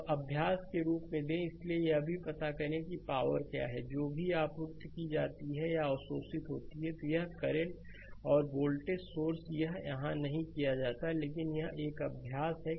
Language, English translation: Hindi, So, one thing I can give you give you as an exercise, so you also find out what is the what is the power your supplied or absorbed by this current and the voltage source this is not done here, but it is an exercise for you